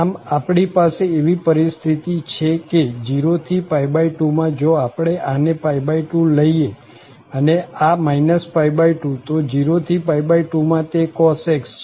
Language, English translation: Gujarati, So, we have the situation that from 0 to pi by 2, if we take this as pi by 2 and this is minus pi by 2 then from 0 to pi by 2, it is cos x